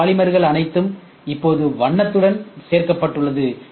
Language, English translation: Tamil, All these today polymers are now added with color also